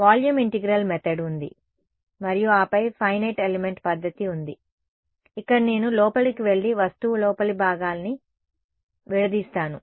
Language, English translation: Telugu, There is volume integral method and then there is finite element method, where I go inside and discretize the interior of an object right